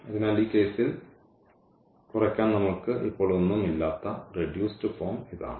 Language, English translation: Malayalam, So, this is the reduced form we do not have anything now further to reduce in this case